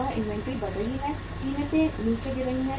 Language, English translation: Hindi, That inventory is increasing, prices are falling down